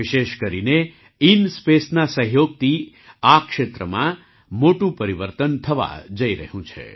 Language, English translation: Gujarati, In particular, the collaboration of INSPACe is going to make a big difference in this area